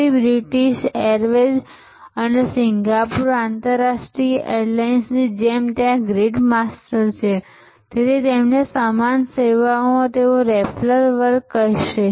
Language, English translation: Gujarati, So, like British airways or Singapore international airlines there grid masters, so within their same service they will say raffles class